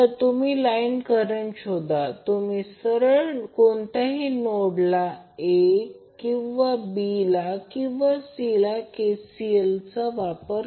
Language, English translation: Marathi, So how you can find out the line current, you can simply apply KCL at the nodes either A or B or C you can apply the KCL